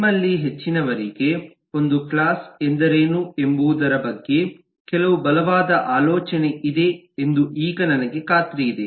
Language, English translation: Kannada, i am sure most of you have certain strong idea about what is a class